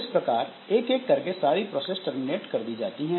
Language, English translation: Hindi, So, this is one by one, all the processes are terminated